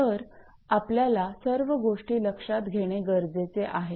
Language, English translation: Marathi, So, you have to consider everything